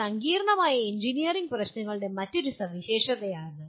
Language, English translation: Malayalam, So that is another feature of complex engineering problems